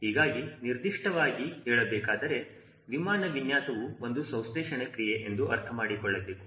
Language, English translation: Kannada, and to be specific, we need to understand that aircraft design is a synthesis process, right